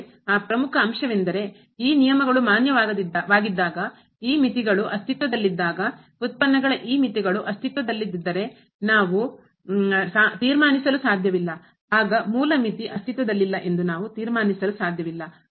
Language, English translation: Kannada, But that important point was that these rule is valid when, when those limits exist we cannot conclude if those limits here of the derivatives do not exists then we cannot conclude that the original limit does not exist